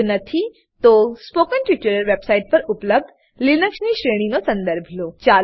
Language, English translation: Gujarati, If not, please see the Linux series available on the spoken tutorial website